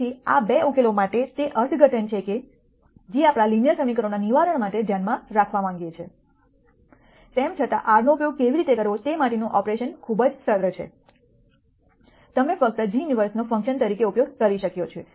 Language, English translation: Gujarati, So, that is the interpretation for these 2 solutions that that we want to keep in mind as far as solving linear equations is concerned, nonetheless the operationalization for how to use R is very simple you simply use g inverse as a function